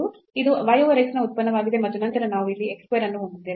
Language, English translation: Kannada, So, this is a function of y over x and then we have x square there